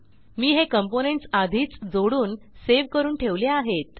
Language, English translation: Marathi, I have already interconnected the components and saved it